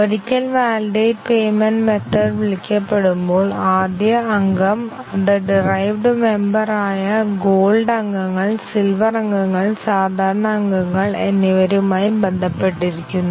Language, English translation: Malayalam, Once the method validate payment is called, first the member since it can be bound to the derived members Gold members, Silver member and Ordinary member